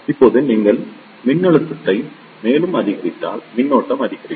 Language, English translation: Tamil, Now, if you increase the voltage further the current will increase